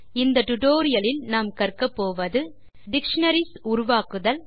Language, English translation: Tamil, At the end of this tutorial, you will be able to, Create dictionaries